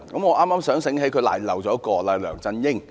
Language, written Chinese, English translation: Cantonese, 我剛想起她遺漏了一人，就是梁振英。, I just remember that she has forgotten one person and that is LEUNG Chun - ying